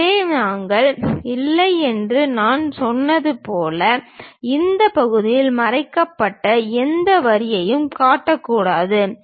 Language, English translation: Tamil, So, as I said we do not, we should not show any hidden lines on this half